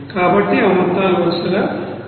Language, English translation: Telugu, So, those amount are like this you know 186